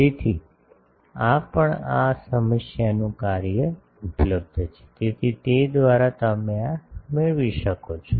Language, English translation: Gujarati, So, also these are available in done at this problem, so by that you can have this